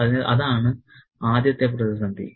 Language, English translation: Malayalam, So, that's the first crisis